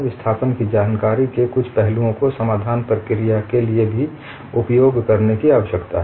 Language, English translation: Hindi, Certain aspects of displacement information need to be used for the solution procedure also